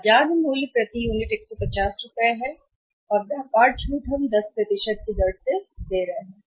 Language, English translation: Hindi, Market price per unit is, rupees 150 and how much are a trade discount less trade discount we are giving at the rate of 10%